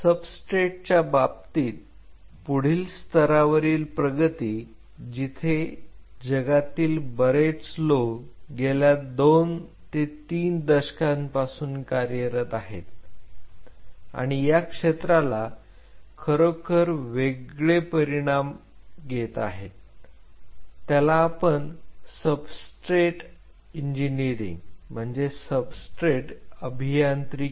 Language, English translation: Marathi, In terms of the substrate the next level of advancement where several people in the world are working for last 2 to 3 decades and the field is really taking a different dimension is called substrate engineering